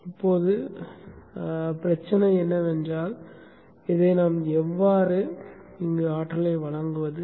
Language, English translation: Tamil, Now the issue is how do we energize this